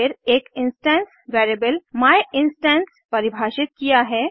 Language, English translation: Hindi, Then I have defined an instance variable myinstance